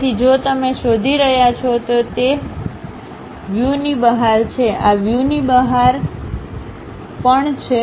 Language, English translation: Gujarati, So, if you are looking, it is outside of that view; this one also outside of the view, this is also outside of the view